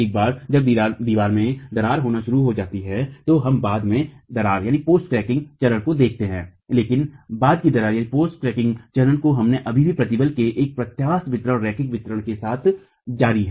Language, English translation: Hindi, Once the wall starts cracking, we are looking at the post cracking phase but at the post cracking phase we are still continuing with an elastic distribution, linear distribution of stresses